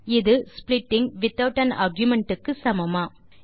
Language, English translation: Tamil, Is it same as splitting without an argument